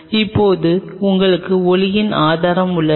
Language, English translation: Tamil, Now, and you have a source of light